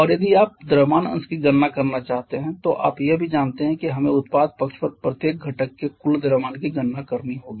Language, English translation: Hindi, And if you want to get away the mass fraction then also you know that we have to calculate the total mass of each of we have to calculate a total mass of each of the constituents on the product side